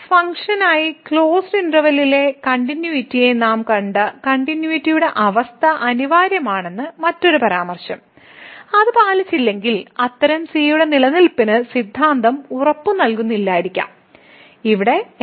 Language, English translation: Malayalam, Another remark that the continuity condition which we have seen the continuity in the closed interval for this function is essential, if it is not met then we may not that the theorem may not guarantee the existence of such a where prime will be 0